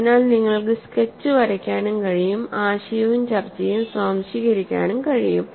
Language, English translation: Malayalam, So, you should be able to draw the sketch and also, assimilate the concept and discussion